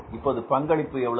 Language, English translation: Tamil, What is contribution now